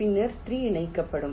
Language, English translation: Tamil, then three will be connected